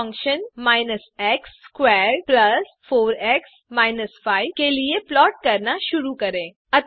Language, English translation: Hindi, Let us start with a plot for the function minus x squared plus 4x minus 5